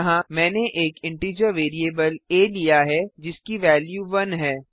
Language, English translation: Hindi, Here, I have taken an integer variable a that holds the value 1